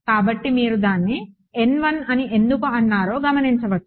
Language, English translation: Telugu, So, that is why you notice that its N 1